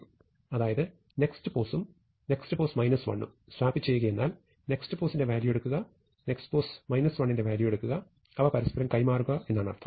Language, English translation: Malayalam, So, swap A nextpos nextpos minus 1, means take the value at A nextpos, take the value at A nextpos minus 1, and swap them